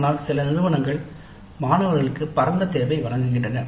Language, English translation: Tamil, But some institutes do offer a wide choice for the students